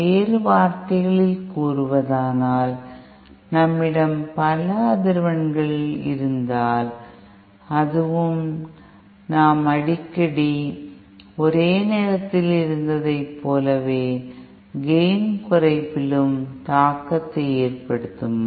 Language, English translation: Tamil, In other words, if we have multiple frequencies present, will that also have an effect on gain reduction like we had at a single frequently